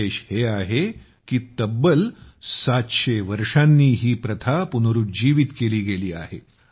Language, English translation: Marathi, It is special, since this practice has been revived after 700 years